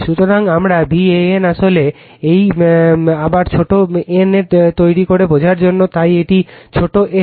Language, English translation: Bengali, So, my V an actually this again we make small n for your understanding, so it is small n